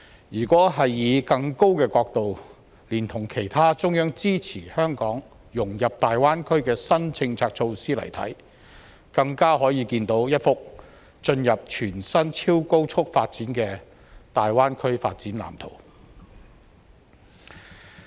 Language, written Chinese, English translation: Cantonese, 如果以更高的角度，連同其他中央支持香港融入大灣區的新政策措施來看，更可以看到一幅進入全新超高速發展的大灣區發展藍圖。, If we take a higher perspective or if we consider also other new policy measures the Central Government has adopted to support Hong Kong in integrating into the Greater Bay Area we can see the new blueprint for rapid development of the Greater Bay Area